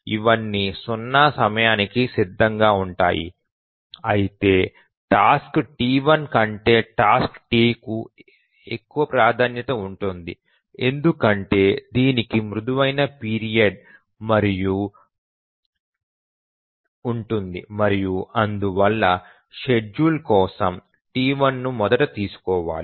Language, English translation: Telugu, But then the task T1 has higher priority than task T2 because it has a shorter period and therefore T1 should be first taken up for scheduling